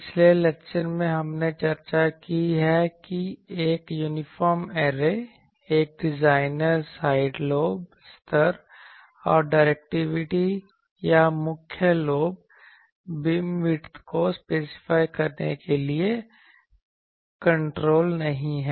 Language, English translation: Hindi, In the previous lecture, we have discussed that an uniform array a designer does not have sufficient control to specify the side lobe level and the directivity or the main lobe beam width